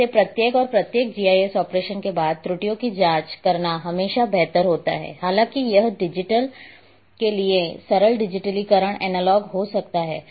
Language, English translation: Hindi, So, it is better always to check errors after each and every GIS operation though it may be simple digitization analog to digital